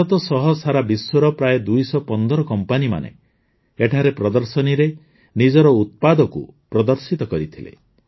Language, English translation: Odia, Around 215 companies from around the world including India displayed their products in the exhibition here